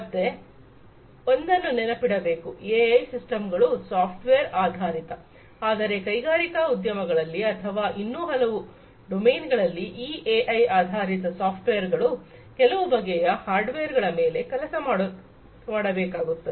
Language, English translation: Kannada, So, remember one thing that AI systems are typically software based, but in industrial sector or, many other domains they these software, these AI based software will have to work on some kind of hardware